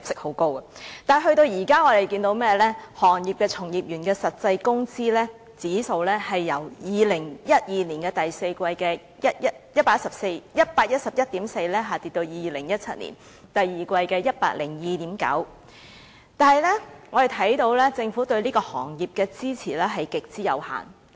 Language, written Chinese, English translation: Cantonese, 可是，到了今天，物流業從業員的實際工資指數，已由2012年第四季的 111.4 下跌至2017年第二季的 102.9， 而政府對此行業的支持也極為有限。, Unfortunately the real wage index of practitioners in the logistics industry has dropped from 111.4 in the fourth quarter of 2012 to 102.9 in the second quarter of 2017 . However the Governments support for the industry has been extremely limited